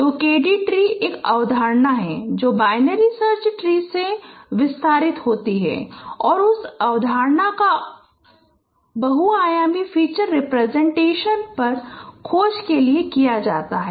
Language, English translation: Hindi, So, KD tree is a is the concept which is extended from binary search tree and that concept is used for searching over a multidimensional feature representation